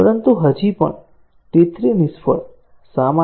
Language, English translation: Gujarati, But still, T 3 failed; why